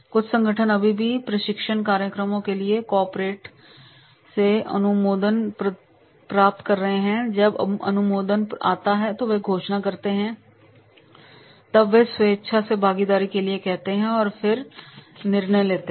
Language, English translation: Hindi, Some organizations still, they are getting the approval from the corporate for the training programs when the approval comes, then they announce, then they ask for the voluntarily participation and then this